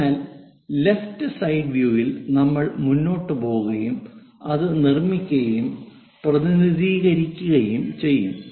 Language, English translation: Malayalam, So, here left side view we will go ahead, construct that and represent that